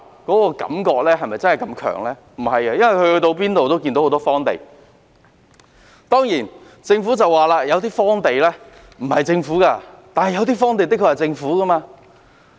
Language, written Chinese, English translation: Cantonese, 不是，而是因為他們到處也看到很多荒地，當然，政府會說有些荒地不屬於它，但有些荒地的確是屬於政府的。, No but because they can see a lot of unused land everywhere . Of course the Government would say that some of these land lots do not belong to it but some of them do belong to it